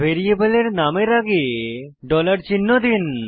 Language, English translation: Bengali, Global variable names are prefixed with a dollar sign ($)